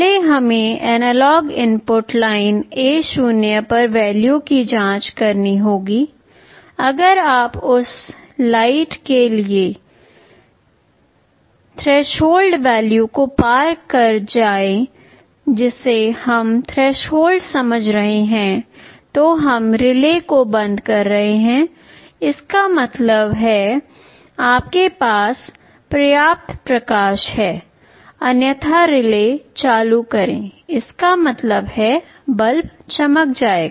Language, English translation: Hindi, The steps as shown here will be running in a repetitive loop First we will have to check the value on the analog input line A0, if it exceeds the threshold level for the light that we are trying to sense you turn off the relay; that means, you have sufficient light otherwise turn on the relay; that means, the bulb will glow